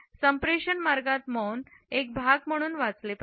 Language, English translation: Marathi, In the way silence is to be read as a part of our communication